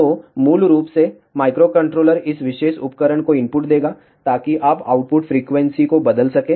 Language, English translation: Hindi, So, basically microcontroller will give input to this particular device, so that you can change the output frequency